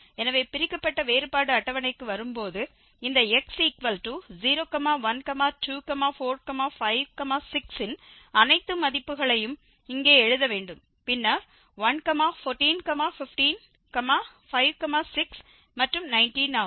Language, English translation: Tamil, So, coming to the divided difference table we have to write all the values of these x here 0, 1, 2, 4, 5 and 6 and then the corresponding value of f which are 1, 14, 15, 5, 6, and 19